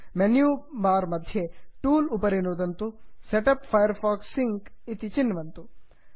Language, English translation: Sanskrit, From the menu bar click tools and setup firefox sync, Click , I have a firefox sync account